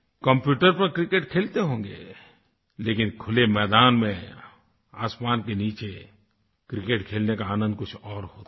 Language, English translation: Hindi, You must be playing cricket on the computer but the pleasure of actually playing cricket in an open field under the sky is something else